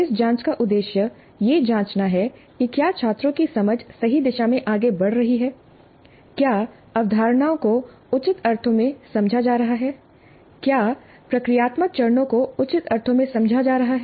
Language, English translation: Hindi, The purpose of this probing is to check whether the understanding of the students is proceeding in the proper directions, whether the concepts are being understood in the proper sense, whether the procedural steps are being understood in the proper sense